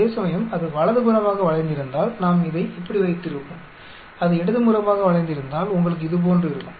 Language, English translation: Tamil, Whereas, if it is skewed right we will have it like this, if it is skewed left you will have like this